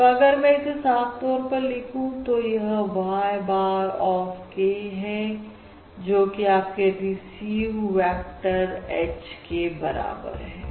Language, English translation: Hindi, So if I am just write it a little bit more clearly below, So this is: Y bar of k, which is your received vector, equals h